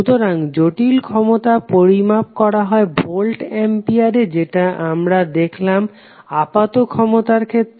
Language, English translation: Bengali, So the apparent power, complex power is also measured in the voltampere as we saw in case of apparent power